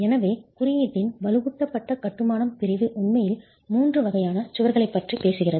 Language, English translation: Tamil, So, what the reinforced masonry section of the code actually talks of is three types of walls